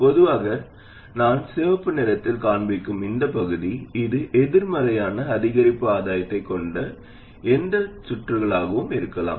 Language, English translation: Tamil, In general, this part of it that I will show in red, this can be any circuit that has a negative incremental gain